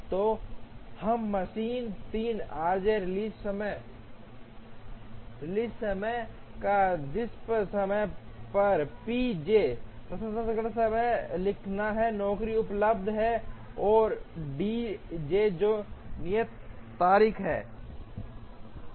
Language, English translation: Hindi, So, we have to write p j processing time on machine 3, r j release time or time at which the job is available, and d j which is the due date